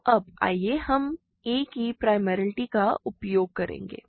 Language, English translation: Hindi, So, now let us use primality of a